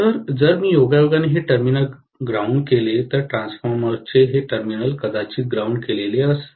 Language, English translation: Marathi, So, if I by chance ground this terminal for example, whereas this terminal of the transformer is grounded probably, right